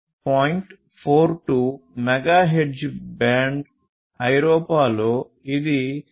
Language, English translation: Telugu, 42 megahertz band that is used, in Europe it is 868